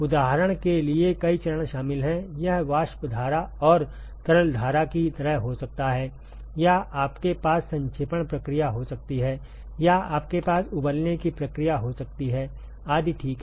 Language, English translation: Hindi, Multiple phases are involved for example, it could be like a vapor stream and a liquid stream or you can have a condensation process or you can have a boiling process etcetera ok